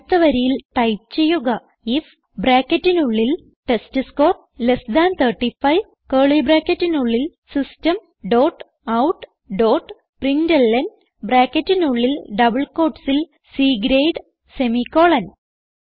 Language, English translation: Malayalam, Next line type if within brackets testScore less than 35, within curly brackets System dot out dot println within brackets and double quotes C grade semicolon